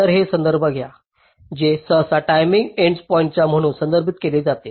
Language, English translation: Marathi, so we refer this t to be the set of timing endpoints